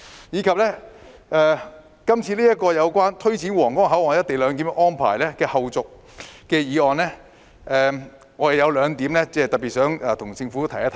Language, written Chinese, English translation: Cantonese, 此外，對於這項有關推展皇崗口岸「一地兩檢」安排的後續工作的議案，我有兩個要點特別想向政府提出。, Concerning the Motion on taking forward the follow - up tasks of implementing co - location arrangement at the Huanggang Port I would like to raise two main points to the Government